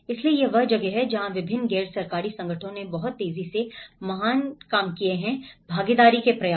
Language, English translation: Hindi, So, that is where different NGOs have taken that very quickly with great participatory efforts